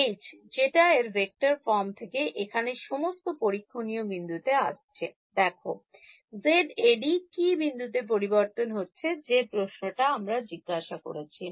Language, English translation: Bengali, h is whatever is coming from the vector form of this guy is what is coming over here at all the testing point see, Z A, d then becomes at which point am I asking this question